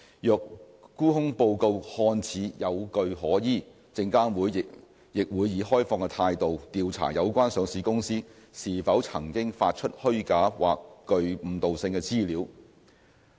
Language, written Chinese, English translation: Cantonese, 若沽空報告看似有據可依，證監會亦會以開放的態度調查有關上市公司是否曾經發出虛假或具誤導性的資料。, If the short seller report seems plausible SFC also investigates open mindedly whether the listed company concerned has issued false or misleading information